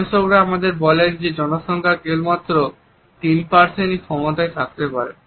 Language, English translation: Bengali, Researchers tell us that only about 3% of the population can have this capability